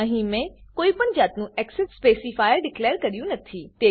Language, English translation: Gujarati, Here I have not declared any access specifier